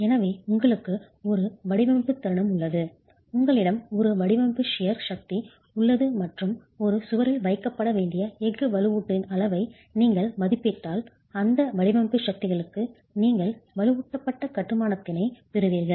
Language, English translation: Tamil, So, you have a design moment, you have a design shear force and if you estimate the amount of steel reinforcement that has to be placed in a wall for those design forces, then you get reinforced masonry